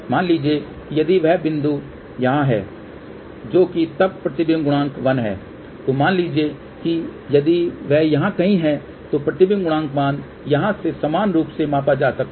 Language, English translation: Hindi, Suppose if the point is here which is then reflection coefficient 1, suppose if it is somewhere here , then the reflection coefficient value can be correspondingly measure from here